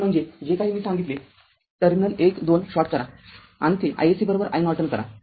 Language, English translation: Marathi, So; that means, whatever i told the terminal 1 2 you short it and make it i SC is equal to your i Norton right